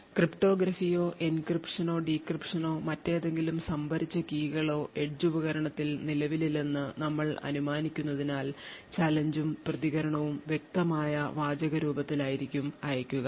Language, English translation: Malayalam, So note that since we are assuming that there is no cryptography present, there is no encryption or decryption or any other stored keys present in the edge device therefore, the challenge and the response would be sent in clear text